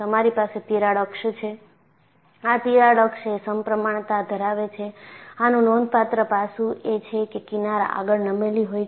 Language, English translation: Gujarati, You know, you have a crack axis; it is symmetrical about the crack axis and the significant aspect is, where the fringes are forward tilted